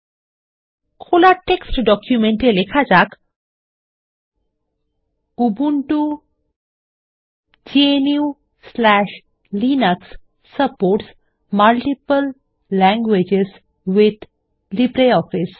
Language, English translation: Bengali, In the opened text document, lets type, Ubuntu GNU/Linux supports multiple languages with LibreOffice